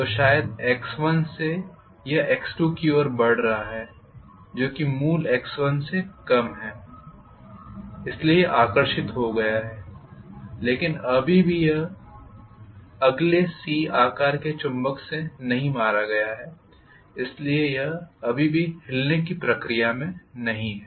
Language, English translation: Hindi, So from x 1 maybe it is moving to a distance of x 2 which is less than the original x 1, so it has been attracted, still it has not been hit the next one the actual C shaped magnet, so it is still in the process of moving